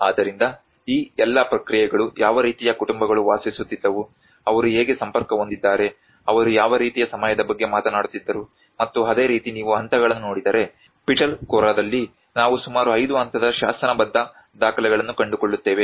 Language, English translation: Kannada, \ \ So, all this process has been become a very rich evidence to know that what kind of families used to live around, how they are connected, what kind of time they were talking about and like that if you look at the phases, we find nearly 5 phases of inscriptional records at the Pitalkhora